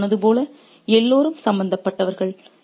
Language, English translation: Tamil, As I said, everybody is implicated